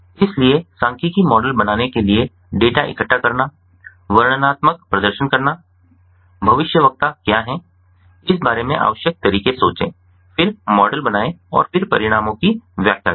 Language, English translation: Hindi, so in order to build a statistical model, it is required to gather the data, perform descriptive methods, think about what are the predictors, then build the model and then interpret the results